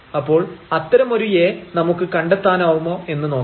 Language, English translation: Malayalam, So, we will check whether we can find such a A